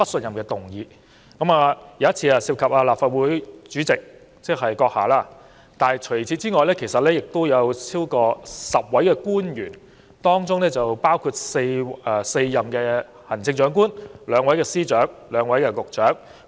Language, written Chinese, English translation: Cantonese, 其中一次涉及立法會主席——即閣下——除此以外，亦有超過10位官員，當中包括4任行政長官、兩位司長及兩位局長。, Apart from the President of the Legislative Council―meaning your goodself―who was the subject of one such motion more than 10 government officials including 4 Chief Executives 2 Secretaries and 2 Directors of Bureaux were targeted